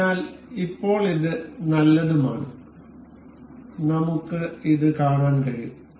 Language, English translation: Malayalam, So, now it is nice and good, and we can see this